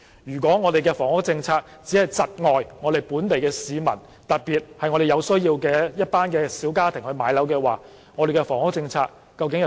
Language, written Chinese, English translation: Cantonese, 若房屋政策只是窒礙本地市民，特別是一群有此需要的小家庭置業，那房屋政策究竟所為何事呢？, If the housing policy only serves to hinder local citizens particularly a group of small families with the need for property ownership to buy homes then what exactly is the housing policy for?